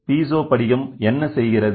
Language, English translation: Tamil, So, what is the Piezo crystal do